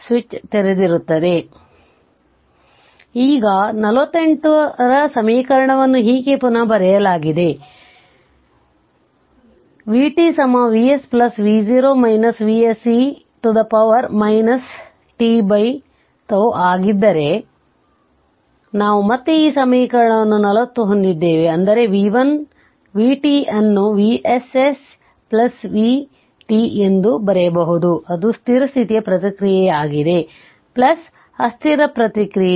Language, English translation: Kannada, So, now equation 48 is rewritten as, we have again this equation 40 if this one v t is equal to V s plus V 0 minus V s e to the power minus t by tau, that means v t is equal to can be written as v s s plus v t that is your steady state response plus transient response